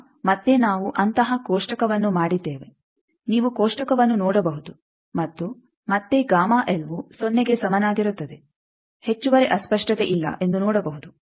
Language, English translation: Kannada, Now, again we have made a table like that, you can see the table and see that for again gamma L is equal to Z no additional distortion